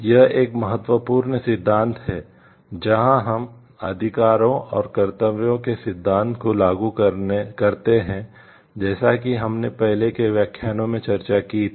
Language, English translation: Hindi, This is an important like, principle where we find the application of the rights and duties principle as we have discussed in the initial lectures